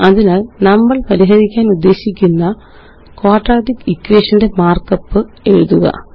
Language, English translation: Malayalam, So first let us write the mark up for the quadratic equation that we want to solve